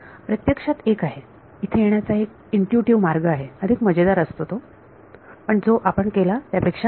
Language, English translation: Marathi, There is actually a, there is an intuitive way of arriving at this which is more sort of more fun than what we did right